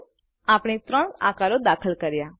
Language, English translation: Gujarati, Now, we have inserted three shapes